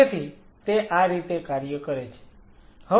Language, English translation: Gujarati, So, this is how it works